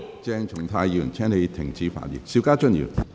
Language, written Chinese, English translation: Cantonese, 鄭松泰議員，請你停止發言。, Dr CHENG Chung - tai please stop speaking